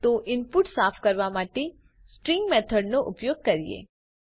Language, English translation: Gujarati, So let us use the String methods to clean the input